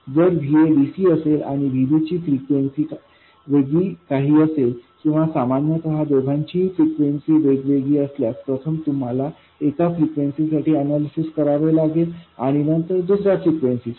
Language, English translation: Marathi, Now, what do you do if VA is DC and VB is some other frequency or in general there of two different frequencies, you have to first do the analysis at one frequency and then at another frequency